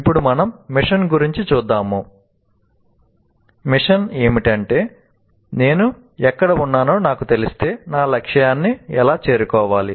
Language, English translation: Telugu, Then the mission is if I know where I am and how do I reach my target